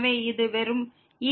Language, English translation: Tamil, So, this will go to 0